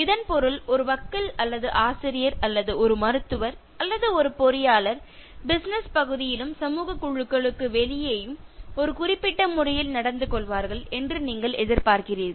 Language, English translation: Tamil, This means you expect for example a lawyer or a teacher or a doctor or an engineer to behave in a certain manner in the business area as well as even outside the social groups so you cannot expect that a teacher will behave in a different manner in a social function